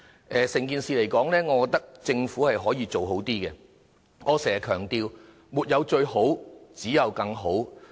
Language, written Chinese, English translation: Cantonese, 就整件事而言，我認為政府可以做好一點；正如我經常強調，沒有最好，只有更好。, Regarding the incident as a whole I think the Government can do better . As I often emphasize there is no the best only better